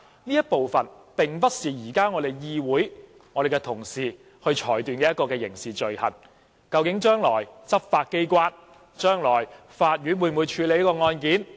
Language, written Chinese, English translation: Cantonese, 刑事罪行並不是可以由議會和議員來作出裁決的，究竟執法機構和法院將來會否處理這宗案件？, The Council and Members are in no position to pass any judgment on a criminal offence . Will the law enforcement agency and the Court handle this case after all?